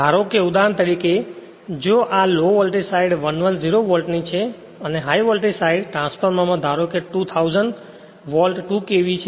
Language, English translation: Gujarati, Suppose for example, if this low voltage side is 110 Volt and the high voltage side suppose transformer you have2000 Volt 2 KV